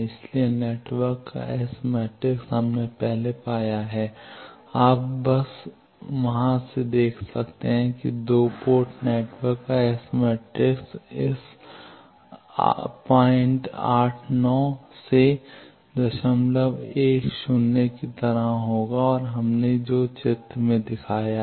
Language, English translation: Hindi, So, s matrix of the network we have earlier found out you can just see from there that S matrix of the 2 port network will be like this 0